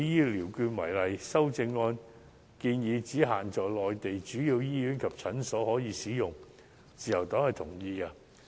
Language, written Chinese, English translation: Cantonese, 修正案建議醫療券只可以在限定的內地主要醫院及診所使用，自由黨同意此規定。, The Liberal Party agrees with amendments which suggest extending the scope of application of Health Care Vouchers to cover municipal hospitals and clinics in major Mainland cities